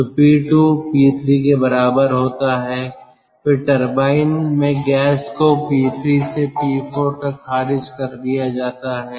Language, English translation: Hindi, then in the turbine the gas is rejected from p three to p four